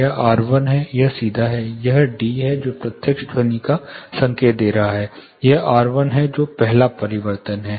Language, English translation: Hindi, This is r1 this is direct, this is d, which is indicating direct sound, this is R1; that is the first reflection